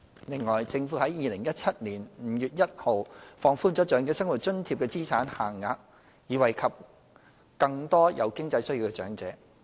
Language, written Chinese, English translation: Cantonese, 另外，政府在2017年5月1日放寬了"長者生活津貼"的資產限額，以惠及更多有經濟需要的長者。, In addition the Government relaxed the asset limits under OALA on 1 May 2017 to benefit more elderly persons with financial needs